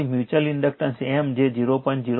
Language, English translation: Gujarati, So, M will become mutual inductance will become 0